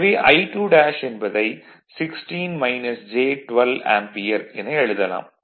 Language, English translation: Tamil, So, I 2 is given also 10 Ampere right